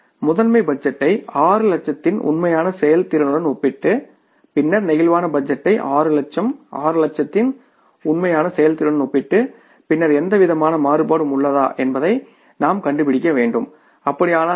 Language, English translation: Tamil, Comparison of the master budget with the actual performance of 6 lakhs and then the comparison of the flexible budget of 6 lakhs with the actual performance of 6 lakhs and then we will be able to find out is there any kind of variance and if it is then what are the reasons for that